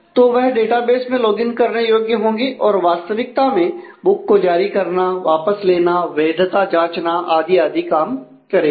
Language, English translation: Hindi, So, they will be able to log in to the database and actually issue a book return a book check for validity and so, on